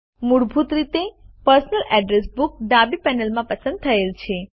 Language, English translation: Gujarati, By default the Personal Address Book is selected in the left panel